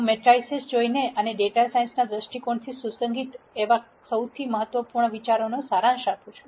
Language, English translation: Gujarati, I am going to look at matrices and summarize the most important ideas that are relevant from a data science viewpoint